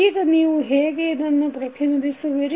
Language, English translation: Kannada, Now, how you will represent